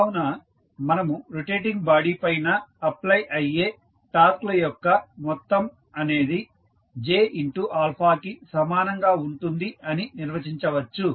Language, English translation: Telugu, So, we define that total sum of torques which is applicable on a body, which is rotating is equal to j into alpha